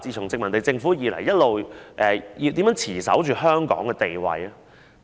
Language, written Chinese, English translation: Cantonese, 自殖民地政府開始，一直以來如何持守香港地位呢？, How can this position of Hong Kong be maintained since the beginning of the colonial government?